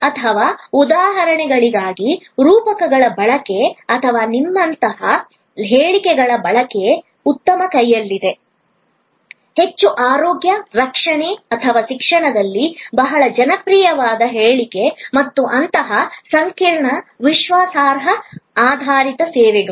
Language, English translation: Kannada, Or the use of metaphors for examples, or use of statements like you are in good hands, a very popular statement in most health care or education and such complex, credence based services